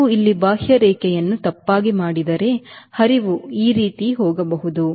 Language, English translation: Kannada, if you have done a contouring here wrongly, the flow may go like this: right